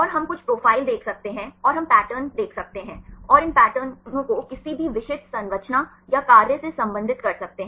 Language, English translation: Hindi, And we can see some profiles and we can see the patterns, and relate these patterns to any specific structure or function right